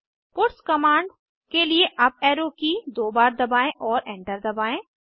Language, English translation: Hindi, Press Up Arrow key twice to get the puts command and press Enter